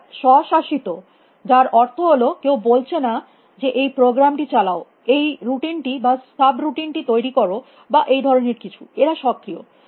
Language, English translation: Bengali, They are autonomous which means that nobody is saying that run this program, run this routine or call this subroutine or something like that; they are proactive